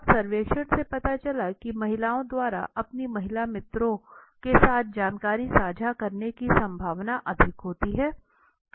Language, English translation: Hindi, Now the survey showed that there is higher probability of females sharing information with their female friends